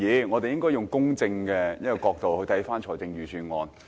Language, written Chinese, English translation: Cantonese, 我們應該以公正的角度審視預算案。, We should examine the Budget with a fair perspective